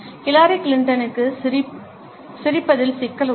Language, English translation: Tamil, Hillary Clinton has a problem with smiling